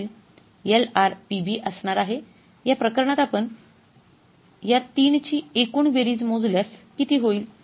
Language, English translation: Marathi, LRP is going to be in this case if you calculate the total sum of these three it will work out as how much